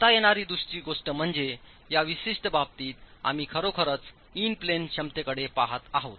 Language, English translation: Marathi, The other thing that can be done is in this particular case we are really looking at in plane capacity